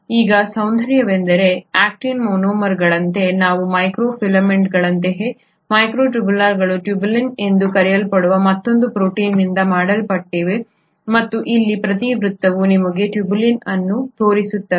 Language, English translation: Kannada, Now the beauty is, just like actin monomers, just like microfilaments the microtubules are made up of another protein called as tubulin and each circle here shows you a tubulin